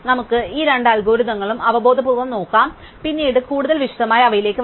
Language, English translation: Malayalam, So, let us look at these two algorithms intuitively we will come to them more detail later, so let us start with PrimÕs Algorithm